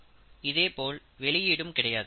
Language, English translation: Tamil, Similarly, there is no output stream